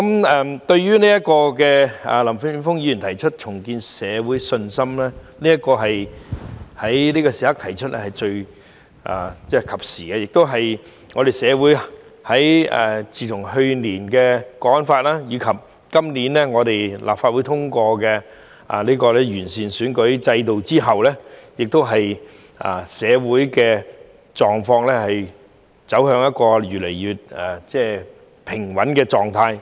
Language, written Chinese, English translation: Cantonese, 林健鋒議員在此時此刻提出"重建社會信心"議案真是及時，自去年實施《香港國安法》及今年立法會通過完善選舉制度的法例後，社會狀況越來越平穩。, Indeed it is timely for Mr Jeffrey LAM to propose the motion on Rebuilding public confidence at this moment . Since the implementation of the National Security Law last year and after the Legislative Council has enacted legislation to improve the electoral system this year our society has become more and more stable